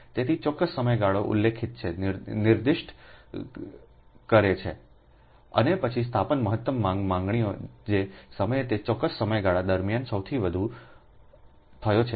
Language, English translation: Gujarati, so, specified period of time, specified time is appeared, is specified, and then maximum demand of an installation is that greatest of the demands which have occurred during that specified period of time